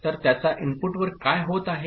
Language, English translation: Marathi, So, what is happening at the input of it